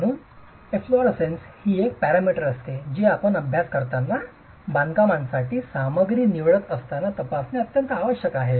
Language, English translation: Marathi, So, efflorescence is something that is a parameter that needs to be checked when you are studying, when you are selecting materials for the construction